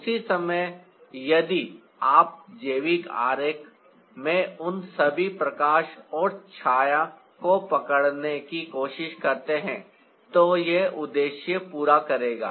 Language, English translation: Hindi, at the same time, if you try to capture all those lighten shade in a biological diagram, that won't serve the purpose